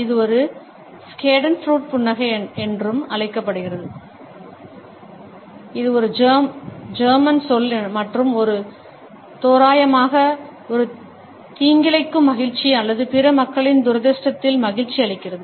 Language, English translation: Tamil, This is also known as a schadenfreude smile, which is a German word and this translates roughly as a malicious joy or delighting in the misfortune of other people